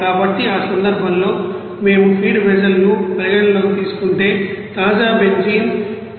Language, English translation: Telugu, So, in that case if we consider feed vessel what are the, you know fresh benzene is coming that is 178